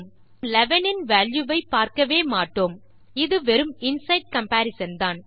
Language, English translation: Tamil, We never see the value of 11, its only an inside comparison